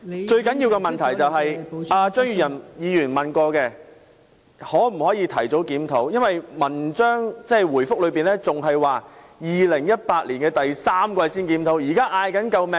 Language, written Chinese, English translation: Cantonese, 最重要的問題是，而張宇人議員亦曾詢問，局方會否提早檢討，但主體答覆表示要到2018年第三季才會檢討。, The most important question is as raised by Mr Tommy CHEUNG whether the Bureau will advance the date of the review but the main reply said that a review would only be made in the third quarter of 2018